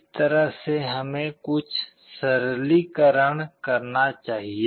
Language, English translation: Hindi, In this way let us do some simplification